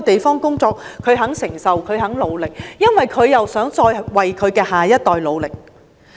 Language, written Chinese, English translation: Cantonese, 他們願意承受艱辛，因為希望為下一代努力。, They are willing to endure hardship because they want to work for the next generation